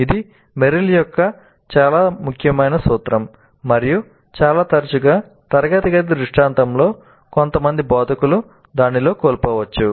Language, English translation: Telugu, This is an extremely important principle of Merrill and quite often in the classroom scenario some of the instructors may be missing it